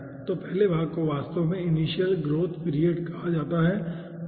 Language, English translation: Hindi, so first portion is actually called initial growth period